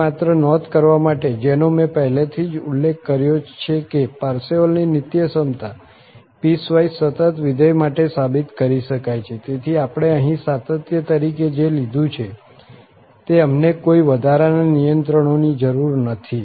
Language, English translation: Gujarati, Just a note here, that this again which I have mentioned already that this Parseval's Identity can be proved for piecewise continuous function, so we do not need any additional restrictions what we have taken here as continuity